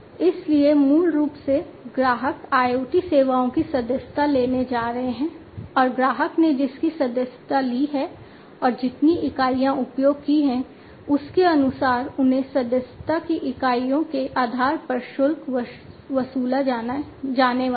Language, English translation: Hindi, So, basically you know IoT services, the customers are going to subscribe to and they are going to be charged based on the units of subscription, that the customer has subscribed to and the units of usage